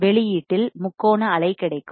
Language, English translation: Tamil, I will get the triangular wave at the output